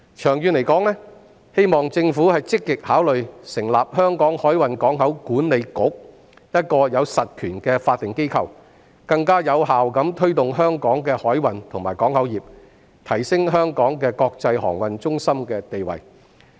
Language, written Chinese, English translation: Cantonese, 長遠而言，希望政府積極考慮成立香港海運港口管理局，一個有實權的法定機構，更有效推動香港的海運和港口業，提升香港的國際航運中心地位。, In the long run I hope that the Government will actively consider establishing the Hong Kong Maritime and Port Authority a statutory body with substantial powers to promote more effectively Hong Kongs maritime and port industries and enhance Hong Kongs status as an international shipping centre